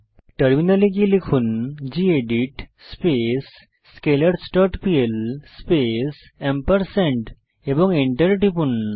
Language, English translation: Bengali, Switch to terminal and type gedit scalars dot pl space and press Enter